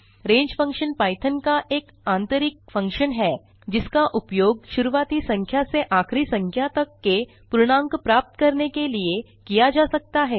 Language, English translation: Hindi, range function is an inbuilt function in Python which can be used to generate a list of integers from a starting number to an ending number